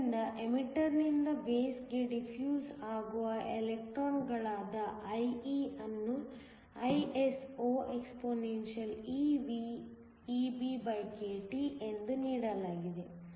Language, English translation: Kannada, So, IE which is the electrons that are defusing from the emitter to the base is just given by ISO for the electrons expeVEBkT